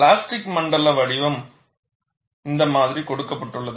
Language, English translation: Tamil, The plastic zone shape is given in this fashion